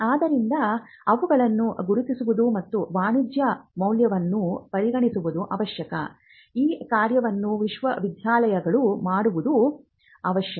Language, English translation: Kannada, So, identifying them and testing the commercial value is something which needs to be done by the university